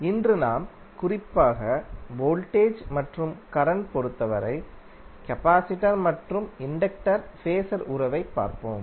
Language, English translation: Tamil, So today we will see particularly the capacitor and inductor Phasor relationship with respect to voltage and current